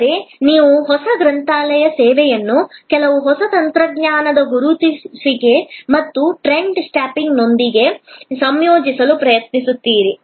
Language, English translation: Kannada, But, you try to integrate the new library service with some new technologies spotting and trend spotting